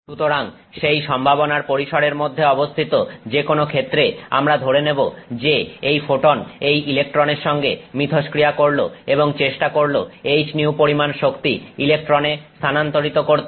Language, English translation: Bengali, So, in any case, within the scope of that probability we will assume that this photon interacts with this electron and it tries to transfer the energy H new to that electron